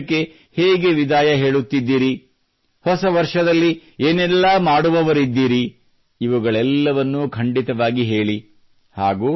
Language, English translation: Kannada, How are you bidding farewell to this year, what are you going to do in the new year, please do tell and yes